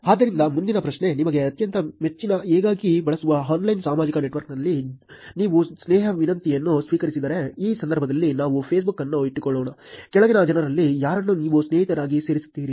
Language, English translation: Kannada, So the next question, if you receive a friendship request on your most favourite, most frequently used online social network, which in case let us keep the Facebook, which of the following people will you add as friends